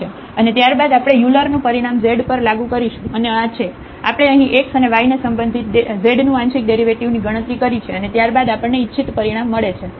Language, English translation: Gujarati, And, then we have applied the Euler’s result on z and noting this z is equal to tan u, we have computed here partial derivatives of z with respect to x and y and then we get the desired result